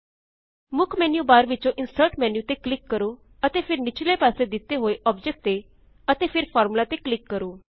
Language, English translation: Punjabi, Let us click on the Insert menu on the main menu bar, and then Object which is toward the bottom and then click on Formula